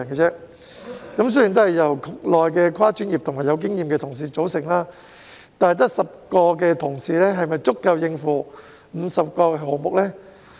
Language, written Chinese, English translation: Cantonese, 雖然辦事處是由局內跨專業和富經驗的同事組成，但只有10人是否足以應付50個項目呢？, The Office is comprised of interdisciplinary and experienced staff within DEVB but can 10 staff cope with the work of 50 projects?